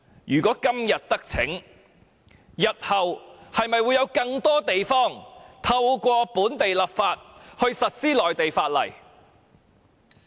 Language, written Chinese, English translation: Cantonese, 如果今天得逞，日後會否有更多地方透過本地立法實施內地法例？, If they succeed in doing so today will Mainland laws be enforced in other places in the future through enacting local legislation?